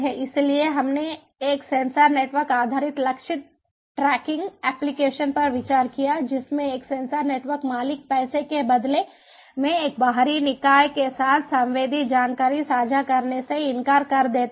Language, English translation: Hindi, so we considered a sensor network based target tracking application in which a sensor network owner refuses to share the shared, the sensed information with an external body, even in exchange of money